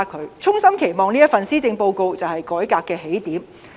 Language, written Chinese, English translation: Cantonese, 我衷心期望這一份施政報告就是改革的起點。, I wholeheartedly hope that the Policy Address will be the starting point of these reforms